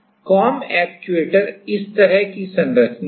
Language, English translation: Hindi, Comb actuator is a structure like this